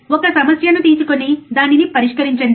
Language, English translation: Telugu, Take a problem and solve it, right